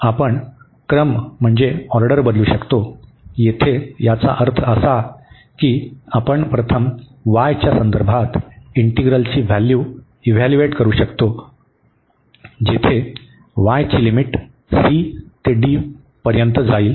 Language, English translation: Marathi, We can change the order; here meaning that we can first evaluate the integral with respect to y, where the limits of y will go from c to d